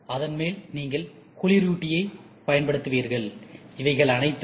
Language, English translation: Tamil, And on top of it you will also use coolant ok, and all this things are collected